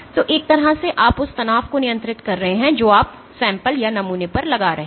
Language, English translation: Hindi, So, in a sense you are controlling the strain you are imposing on the sample